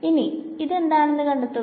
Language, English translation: Malayalam, Now find out what is this